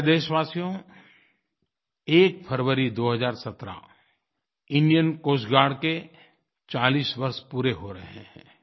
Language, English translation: Hindi, My dear countrymen, on 1st February 2017, Indian Coast Guard is completing 40 years